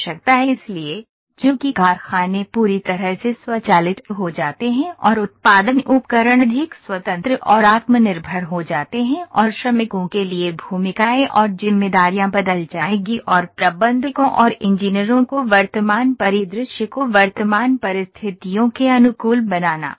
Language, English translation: Hindi, So, as factories become fully automated and production equipment becomes more independent and self sufficient the roles and responsibilities for the workers will change and managers and engineers will have to adapt the present scenario present situations